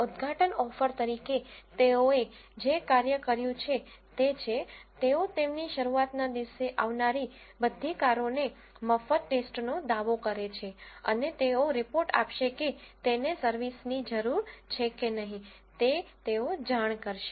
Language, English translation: Gujarati, As an inaugural offer, what they have done is, they claim to freely check all the cars that arrive on their launch day and they said they will report whether they need servicing or not